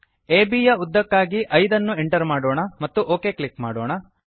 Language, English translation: Kannada, Lets enter 5 for length of AB and click ok